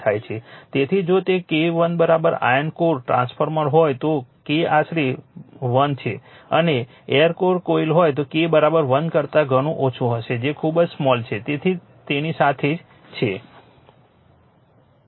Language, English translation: Gujarati, So, if it is K is equal to 1 iron core transformer K is approximately equal to 1 and air core coil K will much much less than equal to 1 that is very very small right